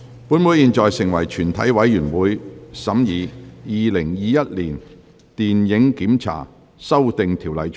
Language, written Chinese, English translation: Cantonese, 本會現在成為全體委員會，審議《2021年電影檢查條例草案》。, This Council now becomes committee of the whole Council to consider the Film Censorship Amendment Bill 2021